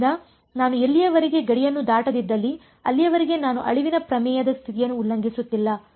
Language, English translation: Kannada, So, as long as I do not go across the boundary I am not violating the condition of extinction theorem right